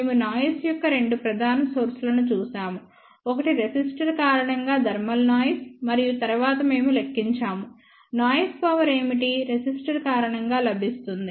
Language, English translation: Telugu, We looked at two main sources of the noise; one is the thermal noise due to resistor and then we calculated, what is the noise power, available due to the resistor